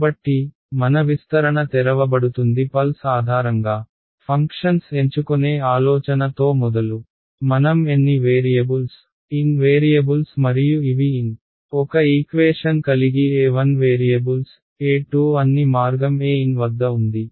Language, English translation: Telugu, So, starting off with the idea of discretization choosing the pulse basis functions opening up the expansion what have we arrived at we have one equation in how many variables N variables and what are these N variables a 1, a 2 all the way up to a n